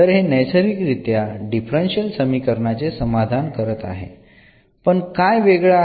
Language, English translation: Marathi, So, naturally it is satisfying this differential equation so, but what is the different here